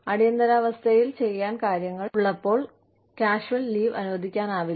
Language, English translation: Malayalam, We cannot be permitted casual leave, when there is emergency